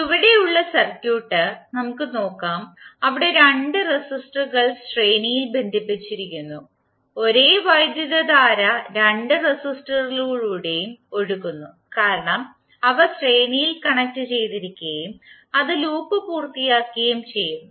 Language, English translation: Malayalam, Let us see the circuit below where two resistors are connected in series and the same current is flowing through or both of the resistors because those are connected in the series and it is completing the loop